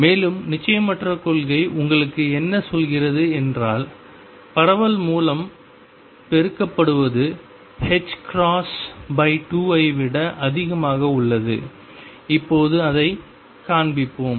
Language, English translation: Tamil, And what uncertainty principle tells you is that the spread multiplied by the spread in the conjugate quantity is greater than h cross by 2, and let us now show that